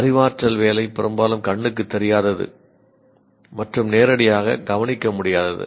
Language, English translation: Tamil, Cognitive work is often invisible and cannot be directly observed